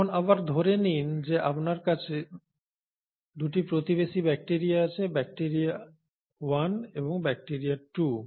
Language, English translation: Bengali, Now assume again that you have 2 bacteria living in neighbourhood, bacteria 1 and bacteria 2